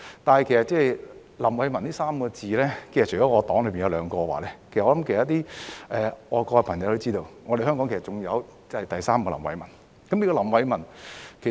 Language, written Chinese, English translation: Cantonese, 但是，名叫"林偉文"的，其實除我黨的兩位外，我想其他愛國朋友也知道，香港還有另一位林偉文。, However apart from the two members of our party who are called LAM Wai - man I think other patriotic fellows also know that there is yet another LAM Wai - man in Hong Kong